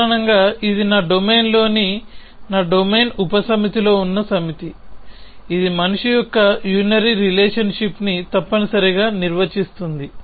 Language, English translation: Telugu, Basically, it is a set in my domain subset in my domain which defines unary relation of man essentially